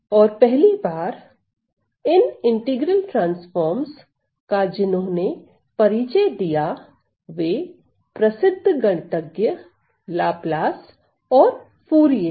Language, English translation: Hindi, And the first you know the first mention of these integral transforms were of course, by these famous mathematicians Laplace and Fourier